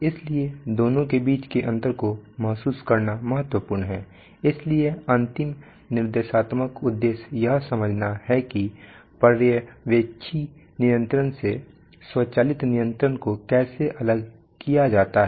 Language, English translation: Hindi, So it Is important to realize the distinction between the two so the last instructional objective is to understand the how automatic control is distinguished from supervisory control